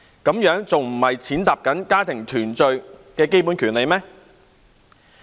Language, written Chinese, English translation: Cantonese, 這樣不是踐踏家庭團聚的基本權利嗎？, Is this not trampling on the fundamental right to family reunion?